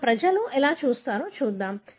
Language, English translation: Telugu, So, let us look in how we people do